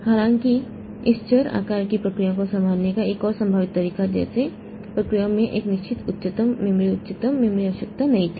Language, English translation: Hindi, However, another possible way of handling this variable sized processes like processes need not have fixed highest memory, highest memory requirement